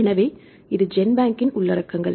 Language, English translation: Tamil, So, this is the contents of GenBank